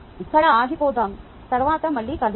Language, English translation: Telugu, ok, lets stop here and lets meet again later